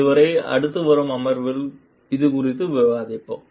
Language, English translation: Tamil, We will discuss this in the next upcoming session till, then